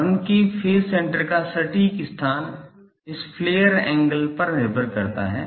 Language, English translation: Hindi, The exact location of the phase center of the horn depends on it is flare angle